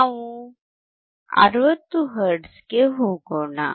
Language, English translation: Kannada, Let us go to 60 hertz